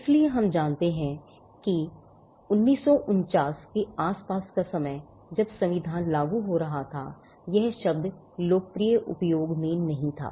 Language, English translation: Hindi, So, we know that around 1949 the time when the constitution was coming into effect; the term was not in popular usage